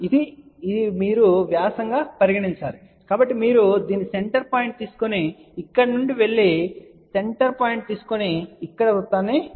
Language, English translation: Telugu, So, you take the center point of this and then go from here, take the center point and draw the circle here